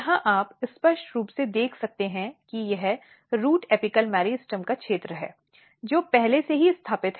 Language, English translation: Hindi, Here you can clearly see that this is the region of the root apical meristem, which is already established